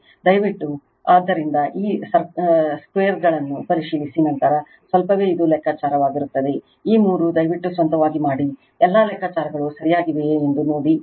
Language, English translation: Kannada, So, please check all these squares then by little bit it will be calculation all these three please do it of your own right, see that all calculations are correct